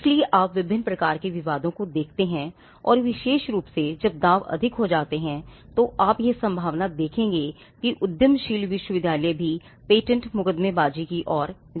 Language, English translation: Hindi, So, you find different types of disputes and especially when the stakes go higher, it is likely that you would see the entrepreneurial university would also go towards patent litigation